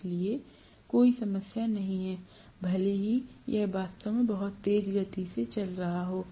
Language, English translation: Hindi, So, there is no problem, even if it is actually running at a very high speed